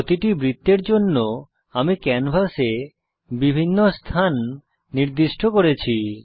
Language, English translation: Bengali, For each circle, I have specified different positions on the canvas